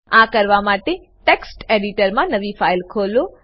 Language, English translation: Gujarati, To do so open the new file in Text Editor